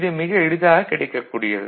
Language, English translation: Tamil, This is a very simple approach